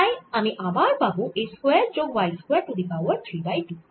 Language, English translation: Bengali, so i am again going to have a square plus y square raise to three by two